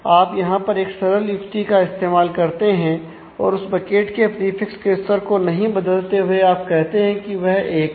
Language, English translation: Hindi, So, you do a simple trick you do not change the prefix level of the particular bucket you say it is 1